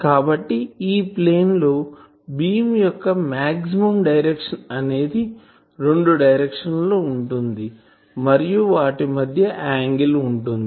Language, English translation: Telugu, So, in a plane containing the direction of maximum of a beam the angle between two directions, so I draw two directions